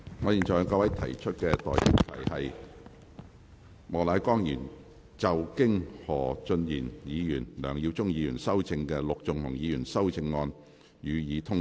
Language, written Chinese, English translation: Cantonese, 我現在向各位提出的待議議題是：莫乃光議員就經何俊賢議員及梁耀忠議員修正的陸頌雄議員議案動議的修正案，予以通過。, I now propose the question to you and that is That Mr Charles Peter MOKs amendment to Mr LUK Chung - hungs motion as amended by Mr Steven HO and Mr LEUNG Yiu - chung be passed